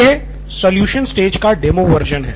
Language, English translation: Hindi, This is the demo version of the solve stage